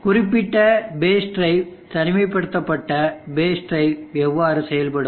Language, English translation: Tamil, So this is how this particular based drive isolated base drive will work